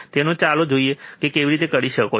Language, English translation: Gujarati, So, let us see how you can do it